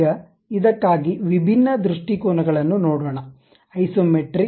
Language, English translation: Kannada, Now, let us look at different views for this, the Isometric